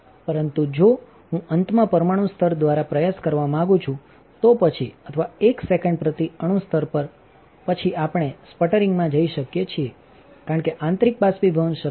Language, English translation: Gujarati, But if I want to go attempt by late atom layer, then or one atomic layer per second then we can go for sputtering because internal evaporation is not possible